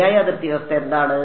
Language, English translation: Malayalam, What is the correct boundary condition